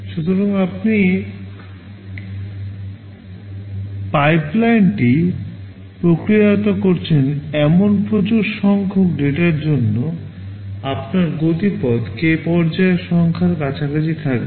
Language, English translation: Bengali, So, for a large number of data that you are processing the pipeline, your speedup will be close to number of stages k